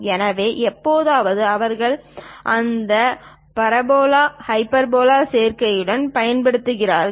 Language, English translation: Tamil, So, occasionally they use this parabola hyperbola combinations also